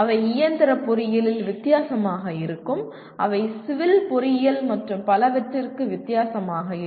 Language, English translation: Tamil, They will be different for mechanical engineering, they will be different for civil engineering and so on